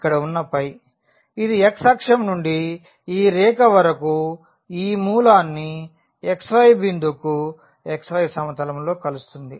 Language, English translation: Telugu, That is the phi which is from the x axis to this line which is joining the origin to this xy 0 point on the xy plane